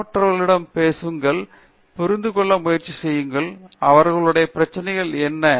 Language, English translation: Tamil, Again, talk to others students and try to understand, what their problems are